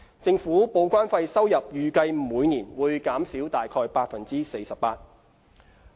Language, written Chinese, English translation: Cantonese, 政府報關費收入預計每年會減少約 48%。, The estimated revenue from TDEC charges will reduce by about 48 % a year